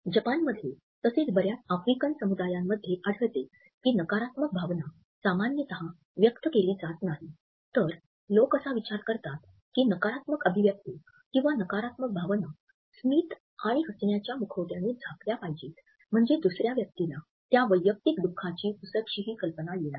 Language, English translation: Marathi, In Japan as well as in many African communities we find that the negative emotion is normally not expressed, rather people think that the negative expressions or negative feelings and emotions have to be masked with his smiles and laughters, so that the other person you are talking to does not get in inkling of the personal grief